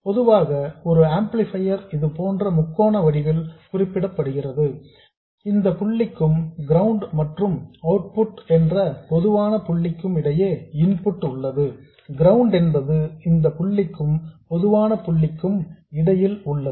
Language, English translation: Tamil, An amplifier is usually represented by a triangle like this with an input between this point and the common point which is ground and an output which is also between this point and a common point which is ground